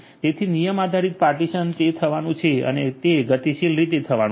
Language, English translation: Gujarati, So, rule based partitioning it is going to happen and it is going to happen dynamically